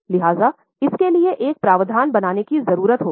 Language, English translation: Hindi, So, there will be a need to create a provision for this